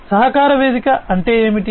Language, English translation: Telugu, So, what is a collaboration platform